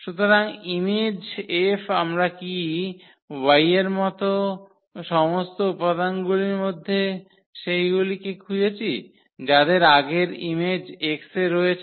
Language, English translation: Bengali, So, image F what we are looking for the all the elements in y whose pre image is there in X